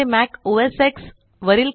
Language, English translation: Marathi, I have checked its working on Mac OS X